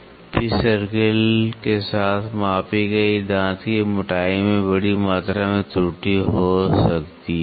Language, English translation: Hindi, The tooth thickness measured along the pitch circle may have a large amount of error